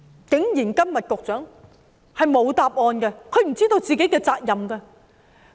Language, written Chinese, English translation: Cantonese, 然而，局長今天竟然沒有答案，他不知道自己的責任。, But surprisingly the Secretary does not have an answer today as he does not know his own responsibility